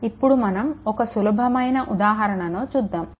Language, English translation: Telugu, So, next take this simple example